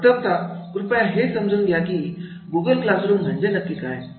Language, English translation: Marathi, First, please understand what is Google classroom